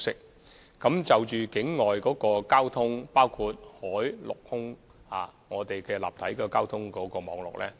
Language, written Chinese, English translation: Cantonese, 我們不時檢討現有的境外交通情況，包括海、陸、空的立體交通網絡。, We timely review the external traffic conditions including three - dimensionally reviewing the transport networks on land sea and air